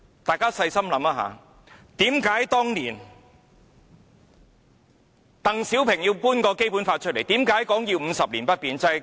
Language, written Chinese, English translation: Cantonese, 大家細心想想，為何當年鄧小平要把《基本法》搬出來，為何說要50年不變？, Have we ever thought about the reason why DENG Xiaoping rolled out the Basic Law and advocated 50 years of an unchanged way of life?